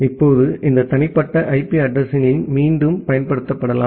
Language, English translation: Tamil, Now, this private IP addresses can be reusable